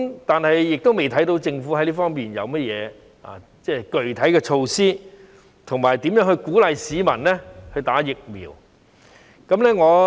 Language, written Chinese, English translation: Cantonese, 但是，我們未看到政府在這方面有何具體措施，以及如何鼓勵市民注射疫苗。, Nevertheless we have yet to see any specific measures from the Government in this aspect for encouraging vaccination among the public